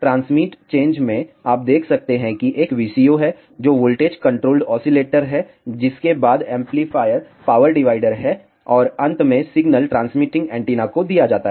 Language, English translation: Hindi, In the transmit change you can see there is a VCO, which is voltage controlled oscillator followed by an amplifier a power divider and finally, the signal is given to the transmitting antenna